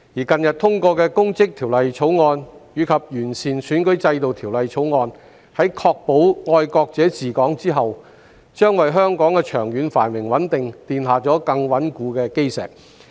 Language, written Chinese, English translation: Cantonese, 近日通過的《2021年公職條例草案》及《2021年完善選舉制度條例草案》，在確保"愛國者治港"後，將為香港的長遠繁榮穩定奠下更穩固的基石。, The recent passage of the Public Offices Bill 2021 and the Improving Electoral System Bill 2021 which ensure patriots administering Hong Kong will lay a more solid foundation for the long - term prosperity and stability of Hong Kong